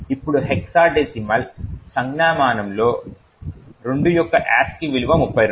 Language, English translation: Telugu, Now the ASCI value for 2 in hexadecimal notation is 32